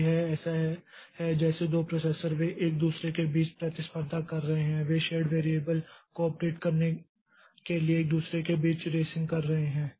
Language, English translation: Hindi, So, this is as if the two processes they are contending between each other, they are racing between each other to update the shared variable